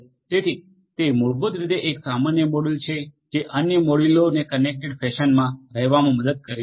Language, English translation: Gujarati, So, it is basically a common is basically a module that will help other modules to work together in a connected fashion